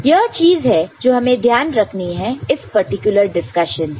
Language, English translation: Hindi, So, this is what we take note of from this particular discussion